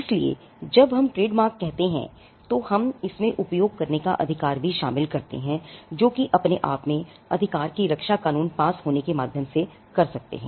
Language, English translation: Hindi, So, that is why we say that trademarks, when we say trademarks in that sense, we also include the right to use which comes by way of you know, you can protect your right by way of the law of passing of